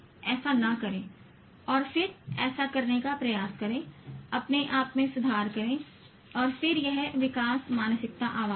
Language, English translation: Hindi, No, don't do that and then try to do this, improve on yourself and then there is this growth mindset voice